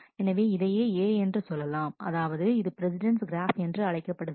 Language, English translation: Tamil, So, this could be A so, possible what is called the precedence graph